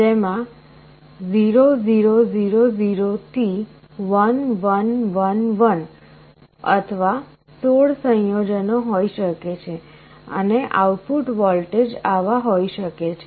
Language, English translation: Gujarati, So, there can be 0 0 0 0 up to 1 1 1 1, or 16 combinations, and the output voltage can be like this